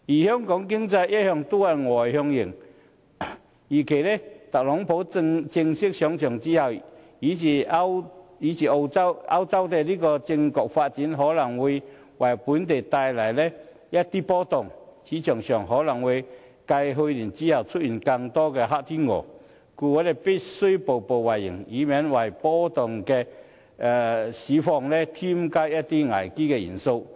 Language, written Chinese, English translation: Cantonese, 香港的經濟一向是外向型，預計特朗普上場，以及歐洲政局的發展，均可能會為本地的市場帶來一番波動，市場可能會繼去年之後，出現更多的"黑天鵝"，故我們必須步步為營，以免為波動的市況添加一些危機元素。, Given Hong Kongs externally - oriented economy it is expected that Donald TRUMP at the helm and the political development in the Eurozone will possibly send their tremors to our financial market and Hong Kong is likely to see more black swans in the market following its experience last year . We need to cautiously make every step forward to avoid introducing more risk factors to our undulating market